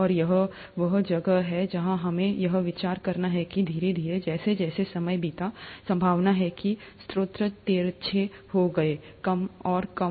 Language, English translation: Hindi, And, this is where we have to consider that slowly, as the time went past, chances are the sources became skewed, lesser and lesser